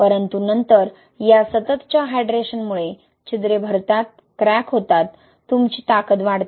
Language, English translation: Marathi, But then because of this continuous hydration, which fills the pores, cracks, right, you see increase in strength